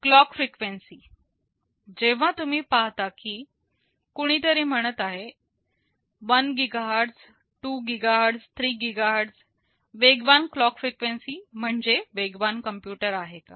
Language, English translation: Marathi, Clock frequency, well you see someone is saying 1 GHz, 2 GHz, 3 GHz does faster clock frequency means a faster computer